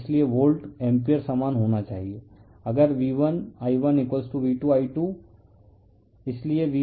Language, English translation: Hindi, Therefore, the volt ampere must be same, if V1 I1 = V2 I2 therefore, V1 / V2 = I2 / I1